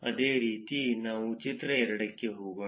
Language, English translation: Kannada, Similarly, let us go to figure 2